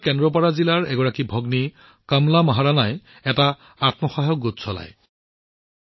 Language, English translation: Assamese, Kamala Moharana, a sister from Kendrapada district of Odisha, runs a selfhelp group